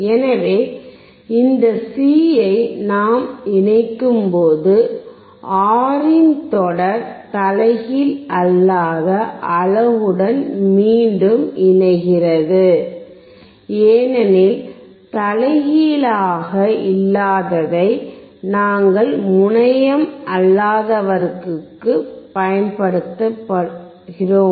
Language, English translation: Tamil, So, when we connect this C, the R in series with the non inverting unit again, because you see non inverting we are applying to non terminal